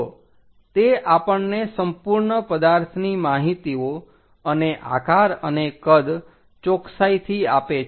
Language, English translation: Gujarati, So, it accurately gives that complete object details and shape and size